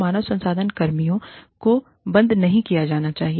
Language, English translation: Hindi, HR personnel should not be laid off